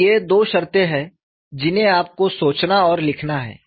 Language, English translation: Hindi, So, these are the two conditions that you have to think and write